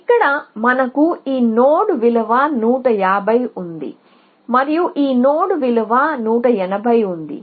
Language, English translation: Telugu, So, here we have this node sitting with 150 and this node sitting with 180